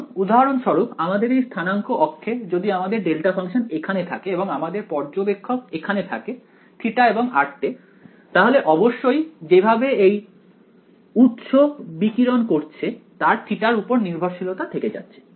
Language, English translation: Bengali, Because if for example, in this coordinate axis if my delta function is over here and my observer is over here at theta and r then; obviously, the way this source is emitting there is a theta dependence for this guy over here